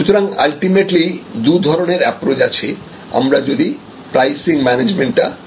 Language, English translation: Bengali, So, ultimately there can be two approaches to at any point of time, when we look at price management